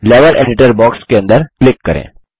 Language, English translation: Hindi, Click inside the Level Editor box